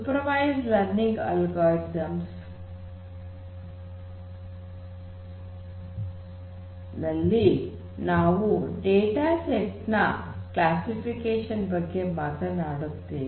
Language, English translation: Kannada, So, in supervised learning algorithm, primarily we are talking about classification of data sets